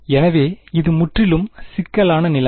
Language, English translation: Tamil, So, it is fully complicated situation